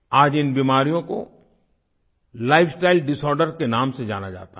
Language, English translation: Hindi, Today these diseases are known as 'lifestyle disorders